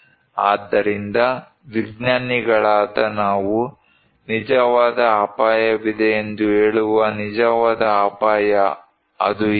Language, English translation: Kannada, So, actual risk we as scientists saying that we there is actually an actual risk, what is that